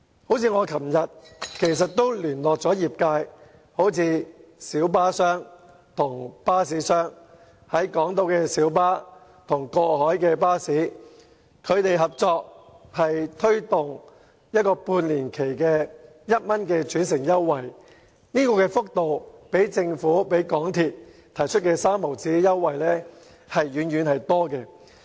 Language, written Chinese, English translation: Cantonese, 我昨天曾聯絡業界，包括小巴商及巴士商，小巴與過海巴士合作在港島區推動一個為期半年的每程1元轉乘優惠，這項優惠的幅度遠較政府和港鐵公司提供的每程3角轉乘優惠為高。, Yesterday I met with members of the trades including representatives of the light bus operators and bus operators . A light bus company on Hong Kong Island and a bus company have jointly introduced an interchange fare concession of 1 per trip for passengers who ride on cross - harbour buses for a period of six months . The concession is far bigger than the offer of 0.30 less per trip provided by the Government and MTRCL